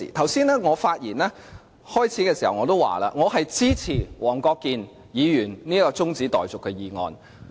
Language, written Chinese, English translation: Cantonese, 我剛才在發言之初已經說，我支持黃國健議員這項中止待續議案。, I have said upfront that I support this adjournment motion raised by Mr WONG Kwok - kin